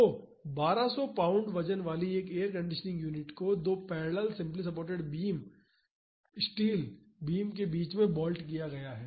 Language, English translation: Hindi, So, an air conditioning unit weighing 1200 pounds is bolted at the middle of the two parallel simply supported steel beams